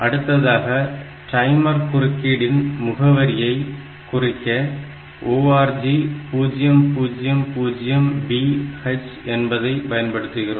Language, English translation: Tamil, Then the timer interrupt is that location 000B; so, ORG 000B H